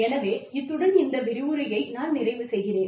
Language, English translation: Tamil, So, that is where, i will stop in this lecture